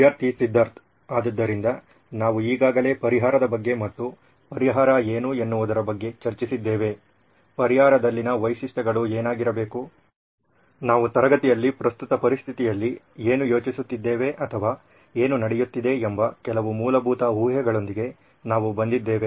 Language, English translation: Kannada, So since we already discussed about the solution and what the solution, what the features in the solution has to be, we have come up with some basic assumptions what we are thinking or still happening in the current situation in a classroom